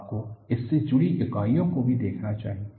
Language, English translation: Hindi, You should also look at the units attached to this